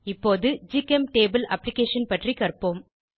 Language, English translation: Tamil, Lets now learn about GChemTable application